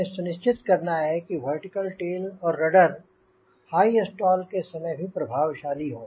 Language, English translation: Hindi, so we have to ensure that the vertical tail and rudder are effective even at high stall conditions